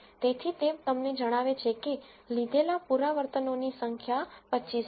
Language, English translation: Gujarati, So, it tells you that the number of iterations that it has taken is 25